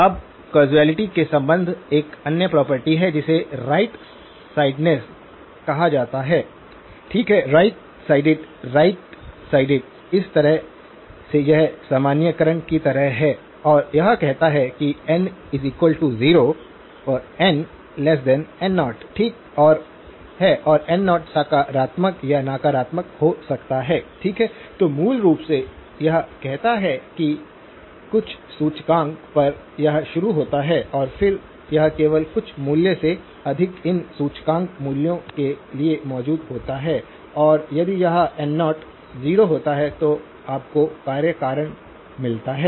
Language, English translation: Hindi, Now, relating to causality is a another property which is called right sidedness, okay, right sided right sided is in a way it is like a generalization and this one says that x of n is equal to 0 for n less than n naught, okay and n naught can be positive or negative, okay so basically it says that at some index it starts and then it exists only for these index values greater than some value and this if this n naught happens to be 0 you get causality